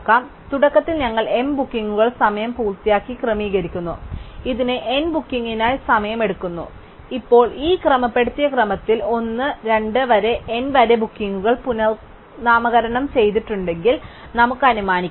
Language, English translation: Malayalam, So, initially we sort the n bookings by finishing time, this takes time n log n for n bookings and now let us assume if the bookings are renumbered 1, 2 up to n in this sorted order